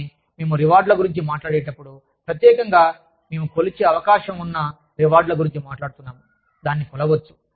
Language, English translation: Telugu, But, when we talk about rewards, specifically, we are talking about rewards, that can be measured